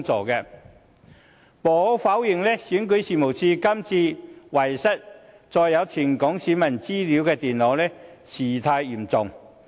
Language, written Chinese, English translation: Cantonese, 無可否認，選舉事務處這次遺失載有全港選民資料的電腦事態嚴重。, The loss of REOs notebook computers containing the personal data of all electors in Hong Kong is undeniably a serious incident